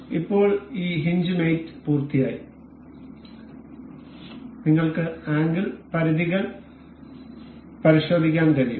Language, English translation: Malayalam, So, now, this hinge mate is complete and we can check for the angle limits